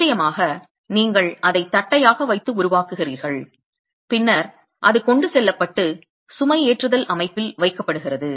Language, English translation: Tamil, Of course you construct it, keeping it flat, and then it is transported and put into the loading setup